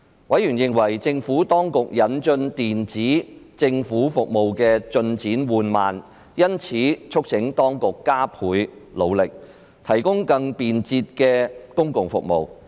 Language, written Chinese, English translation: Cantonese, 委員認為政府當局引進電子政府服務的進展緩慢，因此促請當局加倍努力，提供更便捷的公共服務。, Members commented about the slow progress of introducing e - Government services and urged the authorities to step up efforts to provide more convenient public services